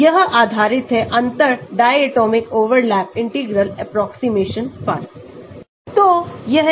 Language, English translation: Hindi, It is based on the neglect of differential diatomic overlap integral approximation